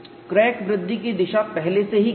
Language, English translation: Hindi, The direction of crack growth is already known